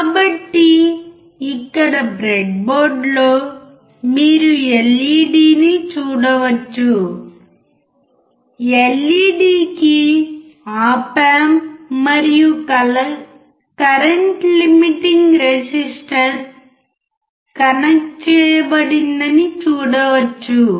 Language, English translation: Telugu, So, here on the breadboard you can see a LED you can see a LED, op amp and current limiting resistor to the LED